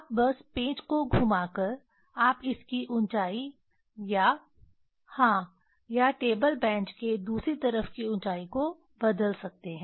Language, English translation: Hindi, You can just rotating the screw you can change the height of the 1 or yeah or other end of the table bench